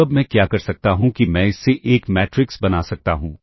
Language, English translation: Hindi, And, ah now, what I can do is I can make a matrix out of this